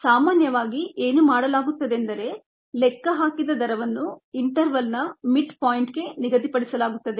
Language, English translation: Kannada, so what is normally done is the rate that is calculated is assigned to the mid point of the interval